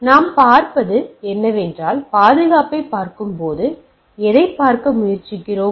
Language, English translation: Tamil, So, what we see that, when we look at the security per se, then what we are trying to look at